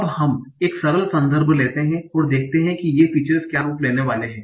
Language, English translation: Hindi, Now let us take a simple context and see what are the forms these features are going to take